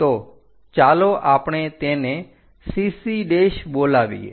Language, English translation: Gujarati, So, let us call this CC prime